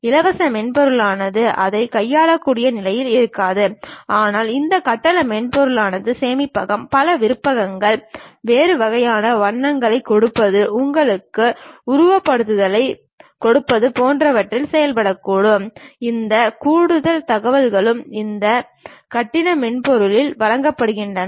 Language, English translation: Tamil, Free software may not be in a position to handle it, but these paid softwares may work, in terms of storage, multiple options, giving different kind of colors, may be giving you simulations also, this extra information also this paid softwares provide